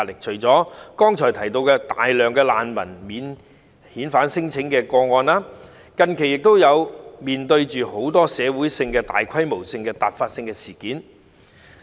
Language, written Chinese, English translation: Cantonese, 除了剛才提及大量涉及難民的免遣返聲請外，香港近期亦面對很多大規模突發性的社會事件。, Apart from the large number of non - refoulement claims involving refugees mentioned earlier on Hong Kong has also been facing many large - scale and abrupt social incidents recently